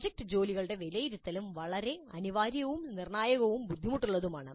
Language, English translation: Malayalam, Now the assessment of project workup is also very essential and crucial and difficulty also